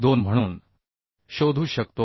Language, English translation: Marathi, 24 that means 426